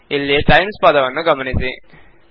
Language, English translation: Kannada, Notice the word times here